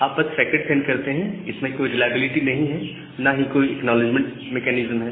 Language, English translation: Hindi, You simply send a packet you do not have any reliability and no acknowledgement mechanism